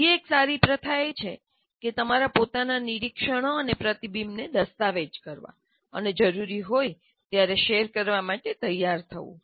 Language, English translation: Gujarati, Now, another good practice is to document your own observations and reflections and be willing to share when required